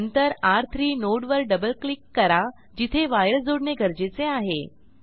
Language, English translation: Marathi, Then we will double click on the node of R3 where wire needs to be connected